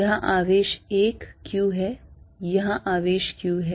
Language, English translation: Hindi, Here is charge 1 q, here is chare q